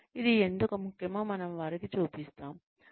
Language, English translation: Telugu, We show them, why it is important